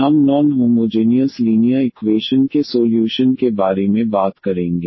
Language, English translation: Hindi, We will be talking about the solution of non homogeneous linear equations